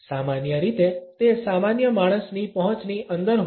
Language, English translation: Gujarati, Normally it is within reach of common man